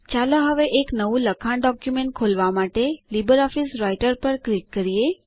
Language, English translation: Gujarati, Let us now click on LibreOffice Writer to open a new text document